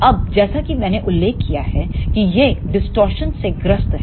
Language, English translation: Hindi, Now, as I mentioned these amplifiers suffers from the distortion